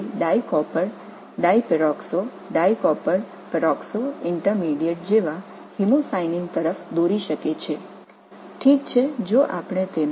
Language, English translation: Tamil, This is this can lead to those hemocyanin like dicopper di perox dicopper peroxo intermediate